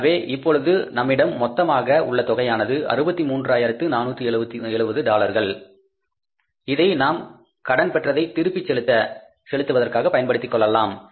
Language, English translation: Tamil, So, now the total amount available with us is $63,470 which can be used for the repayment of the balance of the loan